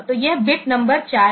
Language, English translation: Hindi, So, this is bit number four